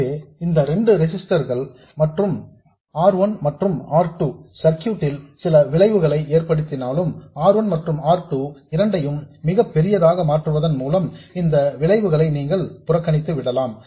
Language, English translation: Tamil, So that way although these two resistors R1 and R2 have some effect on the circuit you can ignore that effect by making R1 and R2 very large and there is no other harm done by making R1 and R2 very large